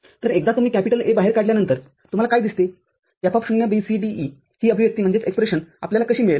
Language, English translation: Marathi, So, once you take A out then what do you see F(0,B,C,D,E) this expression how you will you get